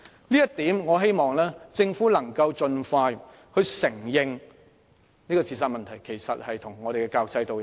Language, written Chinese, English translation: Cantonese, 就這一點而言，我希望政府能夠盡快承認自殺問題與教育制度有關。, On this point I hope that the Government can admit as soon as possible the relationship between the suicide problem and the education system